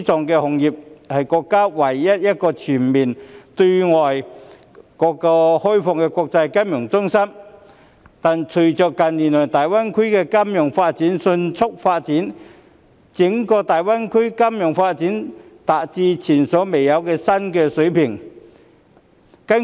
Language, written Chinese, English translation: Cantonese, 香港是國家唯一一個全面對外開放的國際金融中心，但整個大灣區的金融業隨着近年的迅速發展而達至前所未有的新水平。, Hong Kong is the countrys only international financial centre that is fully opened to the world; however with its rapid development in recent years the financial industry in the entire GBA has reached an unprecedented new level